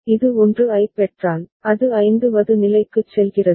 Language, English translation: Tamil, If it receives 1, it goes to the 5th state that is e